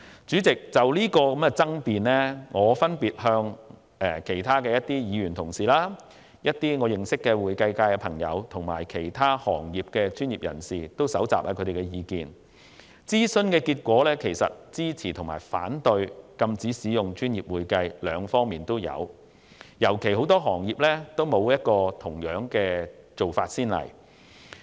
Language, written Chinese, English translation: Cantonese, 主席，就有關爭辯，我曾分別徵詢其他議員、我認識的會計界朋友和其他行業專業人士的意見，對於禁止使用"專業會計"的稱謂，支持和反對的意見都有，尤其由於很多行業均沒有同樣做法的先例。, President regarding this point of dispute I have sought the views of other Members my friends in the accounting field and other professionals . There are both supporting and opposing views regarding the prohibition of the use of the description professional accounting particularly in view of the lack of similar precedents in many other professions